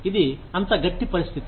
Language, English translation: Telugu, It is such a tight situation